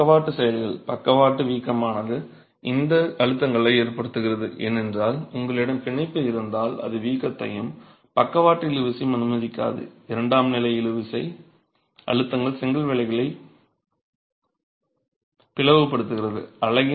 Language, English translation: Tamil, The lateral bulging is causing these stresses because you have the bond, it doesn't allow it to bulge and lateral tension, secondary tensile stresses is causing the splitting of the brickwork